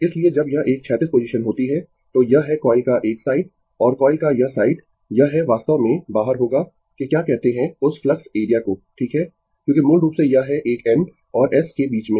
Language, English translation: Hindi, So, when it is a horizontal position, then this is this side of the coil and this side of the coil, this is actually will be outside of the your what you call that flux region right because this is a basically your in between N and S